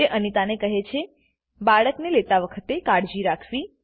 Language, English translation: Gujarati, She tells Anita to be careful while carrying the baby